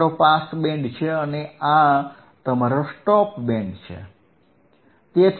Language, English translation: Gujarati, tThis is your Pass Band and this is your Stop Band this is your Stop Band correct